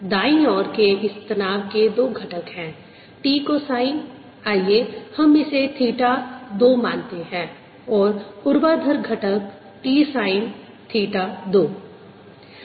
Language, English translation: Hindi, this tension on right hand side on two components, t minus cosine of, let's call it theta two, and vertical component t sin of theta two